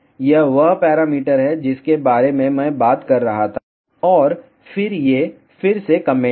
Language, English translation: Hindi, This is the parameters which I was talking about and then these are again comments